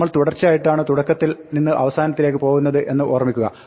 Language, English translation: Malayalam, Remember, we are going sequential from beginning to the end